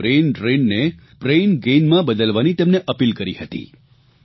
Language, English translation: Gujarati, I had made an appeal to change braindrain into braingain